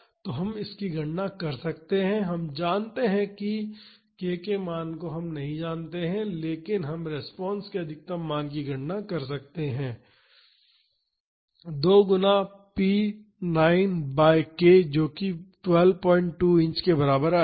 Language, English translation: Hindi, So, we can calculate we know p naught we know the value of k so, we can calculate the maximum value of the response as 2 times p naught by k that would be equal to 12